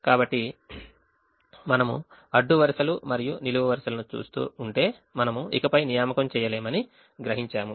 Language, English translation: Telugu, so if we keep repeating, looking at the rows and columns, we realize that we cannot make anymore assignment